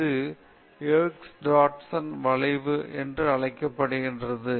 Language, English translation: Tamil, This is called Yerkes Dodson curve